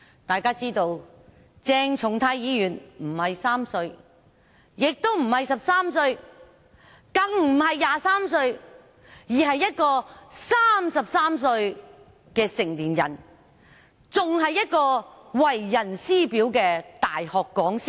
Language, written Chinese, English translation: Cantonese, 大家知道，鄭松泰議員不是3歲，也不是13歲，更不是23歲，而是一名33歲的成年人，還是為人師表的大學講師。, As we all know Dr CHENG Chung - tai is not 3 years old not 13 years old not even 23 years old but a 33 - year - old adult and a teacher an university lecturer